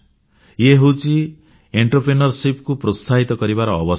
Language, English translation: Odia, This is an opportunity for encouraging entrepreneurship